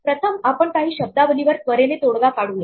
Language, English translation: Marathi, Let us first quickly settle on some terminology